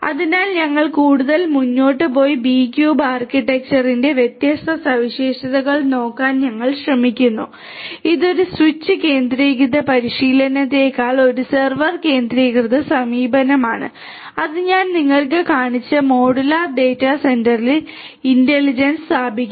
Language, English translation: Malayalam, So, we proceed further and we try to have a look at the different properties of the B cube architecture it is a server centric approach rather than a switch centric practice and it places the intelligence on the modular data centre that I just showed you and it is corresponding servers provides multiple parallel short paths between any pair of servers